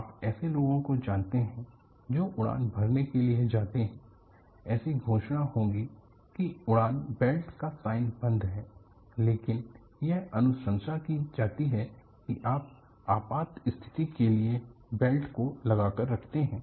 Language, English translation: Hindi, There would be announcements the flight belt sign is switched off, but it is recommended that you keep the belt on you for emergencies